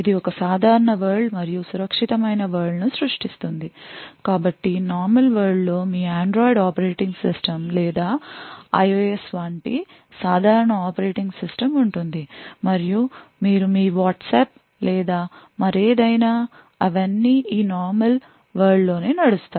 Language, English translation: Telugu, It creates a normal world and a secure world so the figure looks something like this so in the normal world is where you would have your typical operating system like your Android operating system or IOS and you would be running your typical tasks like your Whatsapp or anything else so all of them run in this normal world